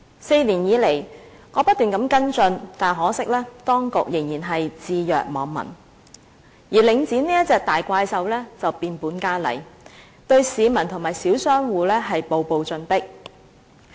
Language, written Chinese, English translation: Cantonese, 在過去4年，我不斷跟進，但可惜當局仍然置若罔聞，而領展這隻大怪獸卻變本加厲，對市民和小商戶步步進迫。, Over the past four years I have been following this matter up . Unfortunately the authorities have turned a blind eye to this matter and the conduct of this monster called Link REIT has gone from bad to worse and the public and small shop operators are subjected to increasing oppression